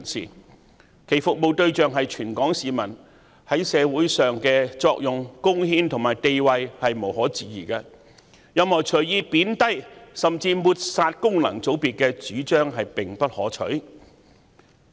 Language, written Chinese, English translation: Cantonese, 他們的服務對象是全港市民，在社會上的作用、貢獻和地位無可置疑，任何隨意貶低甚至抹煞功能界別的主張也不可取。, Their service targets are all Hong Kong people . Their functions contribution and importance to society are unquestionable . Any views that arbitrarily play down or even discredit FCs are undesirable